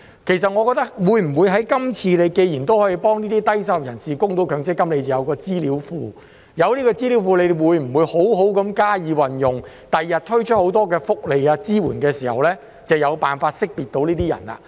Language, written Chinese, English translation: Cantonese, 其實，既然今次已經可以幫助低收入人士供強積金，有了資料庫，會否好好加以運用，在他日推出很多福利和支援時，能夠有辦法識別出這些人士呢？, In fact now that it can help low - income workers with MPF contributions and have a database will the Government make good use of it as a means to identify these people when rolling out many welfare benefits and supports in future?